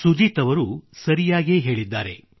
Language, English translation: Kannada, Sujit ji's thought is absolutely correct